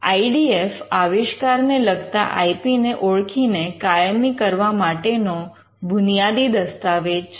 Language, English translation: Gujarati, The IDF is a basic document for identifying and capturing the IP pertaining to an invention